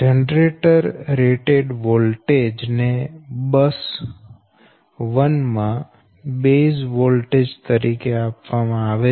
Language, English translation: Gujarati, so the generator rated voltage is given as the base voltage at bus one